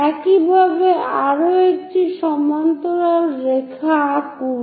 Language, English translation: Bengali, Similarly, draw one more parallel line all the way up